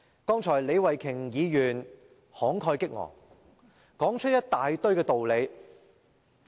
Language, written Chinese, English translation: Cantonese, 剛才李慧琼議員慷慨激昂，說出一大堆道理。, Ms Starry LEE made a passionate speech just now putting forward a list of justifications